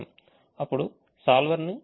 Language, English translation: Telugu, i now call the solver